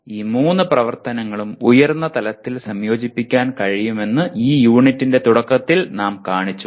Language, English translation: Malayalam, That is earlier unit we showed that all the three activities can be integrated at the highest level